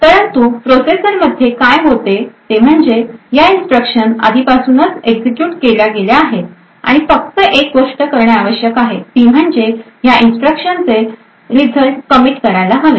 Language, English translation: Marathi, But what happens within the processor is that these instructions are already speculatively executed and the only thing that is required to be done is that the results of these instructions should be committed